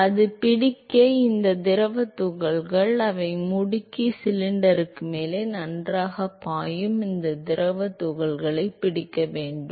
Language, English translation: Tamil, So, in order for it to catch up, these fluid particles, they have to accelerate and they have to catch up with this fluid particle which is flowing well above the cylinder